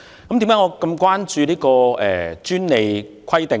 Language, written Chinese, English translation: Cantonese, 為甚麼我這麼關注這項專利規定呢？, Why am I gravely concerned about the Amendment Rules?